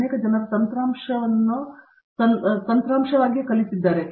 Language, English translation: Kannada, There also, many people might have learnt software as a software per se